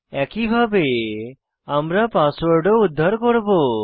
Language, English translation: Bengali, Similarly, we will retrieve the password also